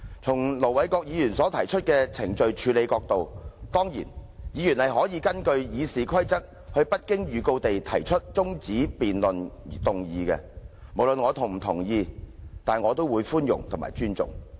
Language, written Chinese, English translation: Cantonese, 從盧議員所述的程序處理角度來看，議員當然可根據《議事規則》無經預告而動議中止待續議案；不論我是否同意，我也會寬容和尊重。, From the perspective of procedure as mentioned by Ir Dr LO Members can certainly move an adjournment motion without notice under RoP; I will treat this act with tolerance and respect disregarding whether I agree or not